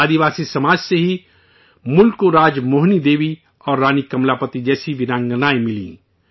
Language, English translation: Urdu, It is from the tribal community that the country got women brave hearts like RajMohini Devi and Rani Kamlapati